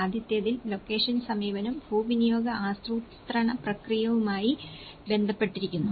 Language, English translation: Malayalam, In the first one, the location approach, it deals with the process of land use planning